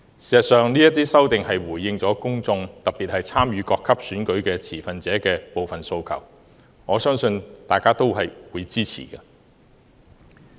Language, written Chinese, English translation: Cantonese, 事實上，這些修訂回應了公眾，特別是參與各級選舉的持份者的部分訴求，我相信大家均會支持。, In fact these amendments have responded to the demands of the public particularly some of the demands made by the stakeholders who have participated at various levels of elections . I believe Members will support the amendments